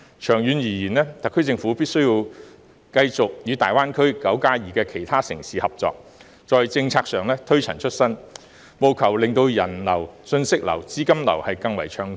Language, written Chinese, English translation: Cantonese, 長遠而言，特區政府必須繼續與大灣區"九加二"的其他城市合作，在政策上推陳出新，務求令人流、信息流和資金流更為暢通。, In the long run the SAR Government should continue to work with the other nine plus two cities within GBA and introduce new policies to increase the flow of people information and capital